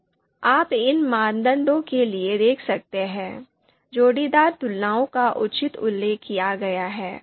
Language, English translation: Hindi, So you can see for these criteria, the pairwise comparisons have been appropriately mentioned here